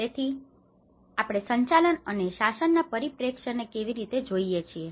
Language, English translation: Gujarati, So how we can look at the management and the governance perspective